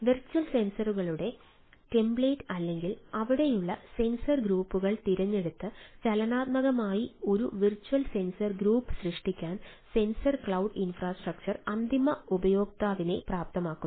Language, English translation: Malayalam, sensor cloud infrastructure enables end user to create virtual sensor group to dynamically by selecting the template of the virtual sensors, ah or the sensor groups which are there